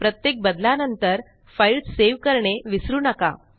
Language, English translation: Marathi, Remember to save your file every time you make a change